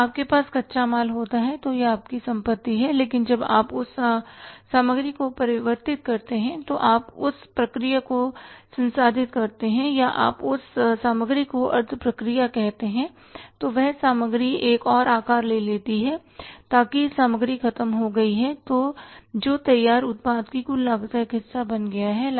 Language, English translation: Hindi, When you have the raw material it is an asset to you but when you converted or you processed that material or you semi process that material it took another shape so that material is gone that has become one part of the total cost of the finished product